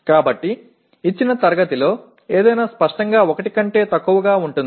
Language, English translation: Telugu, So anything in a given class obviously it will be less than 1